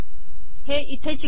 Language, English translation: Marathi, Paste it here